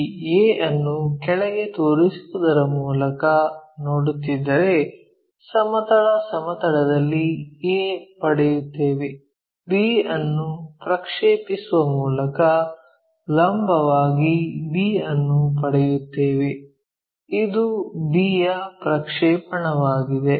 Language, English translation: Kannada, And, if we are seeing by projecting this A all the way down, we get a on the horizontal plane by projecting B, all the way down vertically we get b, this is the projection one